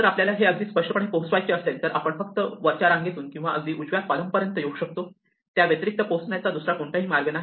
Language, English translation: Marathi, Now, if we want to reach this its very clear that I can only come all the way along the top row or all the way up the rightmost column, there is no other way I can reach them